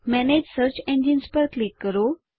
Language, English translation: Gujarati, Click on Manage Search Engines